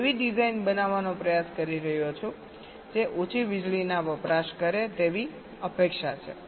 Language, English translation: Gujarati, i am trying to create a design that is expected to consume less power